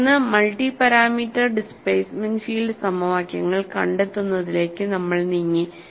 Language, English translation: Malayalam, Then, we moved on to finding out multi parameter displacement field equations